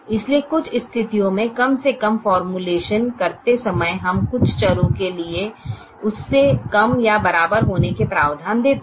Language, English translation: Hindi, so in some situations at least, while formulating, we give provision for some variables to be less than or equal to